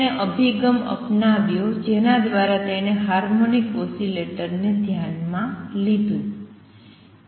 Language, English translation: Gujarati, He took an approach whereby he considered the anharmonic oscillator